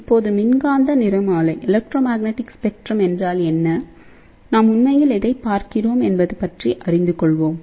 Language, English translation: Tamil, So, now, what is the electromagnetic spectrum; what are we really looking at